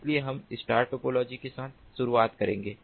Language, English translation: Hindi, one is known as the star topology